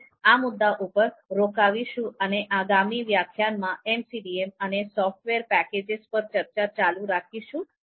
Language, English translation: Gujarati, So we will stop at this point and we will continue our discussion on MCDM and the software packages in the next lecture